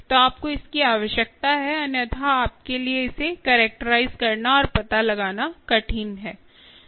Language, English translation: Hindi, so you need this, otherwise it's hard for you to ah, characterize and find out